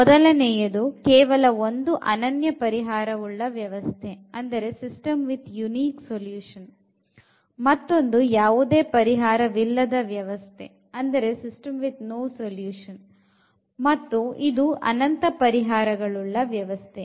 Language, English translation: Kannada, In one case we have the unique solution, in another one we have no solution here we have infinitely many solutions